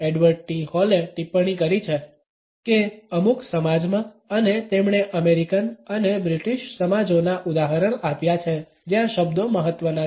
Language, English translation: Gujarati, Edward T Hall has commented that in certain societies and he has given the example of the American and British societies words are important